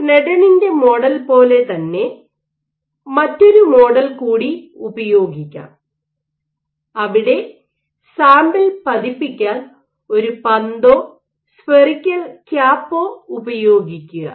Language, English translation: Malayalam, So, similarly for like the Sneddon’s model you can use another model where if you use a ball or a spherical cap to use your to indent your sample